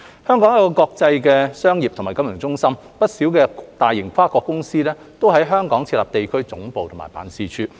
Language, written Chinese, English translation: Cantonese, 香港是國際商業和金融中心，不少大型跨國公司均在香港設有地區總部和辦事處。, As an international business and financial centre Hong Kong is home to the regional headquarters and offices of many multinational companies